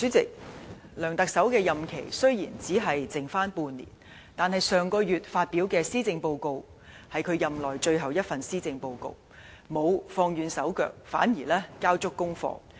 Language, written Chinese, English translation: Cantonese, 主席，梁特首的任期雖只剩半年，但他在上月發表任內最後一份施政報告時，並沒有"放軟手腳"，反而交足功課。, President although the term of office of Chief Executive LEUNG Chun - ying will expire after half a year the final Policy Address he announced last month does not show any signs of slacking off